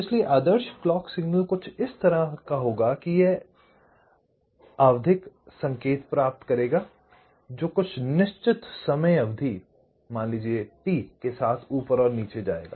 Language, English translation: Hindi, so when i say the clock signal, so the ideal clock signal will be like this: it would be get periodic signal that we go up and down with certain time period, lets say t